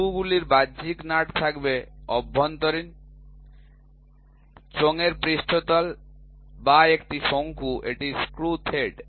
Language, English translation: Bengali, Screws will have external nut is internal, surface of a cylinder or a cone, that is the screw thread